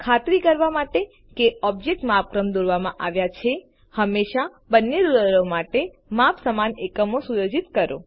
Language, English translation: Gujarati, To make sure that the objects are drawn to scale, always set the same units of measurements for both rulers